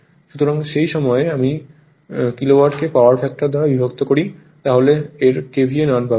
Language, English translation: Bengali, So, at that time, if I because this is Kilowatt divided by power factor will give you KVA right